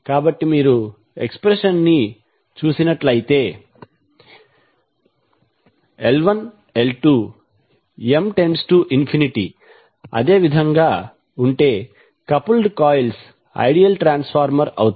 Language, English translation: Telugu, So if you see the expression, if L 1, L 2 or M tends to infinity in such a manner that n remains the same, the coupled coils will become the ideal transformer